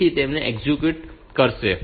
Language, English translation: Gujarati, So, it will be executing them